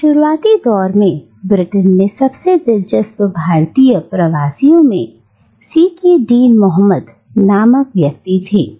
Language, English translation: Hindi, One the most interesting Indian migrants to Britain during this early period was a man called Sake Dean Mohammad